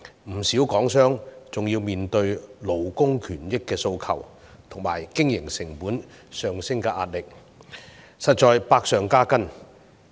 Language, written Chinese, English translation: Cantonese, 不少港商還要面對勞工權益的訴求及經營成本上升的壓力，實在是百上加斤。, Many businessmen in Hong Kong are further burdened by the increasing demands for workers rights and interests and rising increasing operating costs